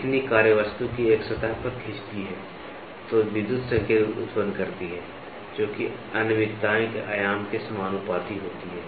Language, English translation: Hindi, The stylus draws across a surface of the workpiece generates electrical signals that are proportional to the dimension of the asperities